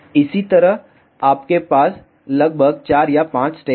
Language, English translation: Hindi, Similarly, you have roughly 4 or 5 steps